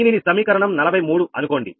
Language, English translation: Telugu, say this is equation forty three